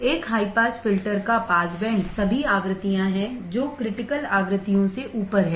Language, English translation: Hindi, The passband of a high pass filter is all frequencies above critical frequencies